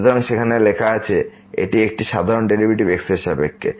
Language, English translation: Bengali, So, as written there it is a usual derivative with respect to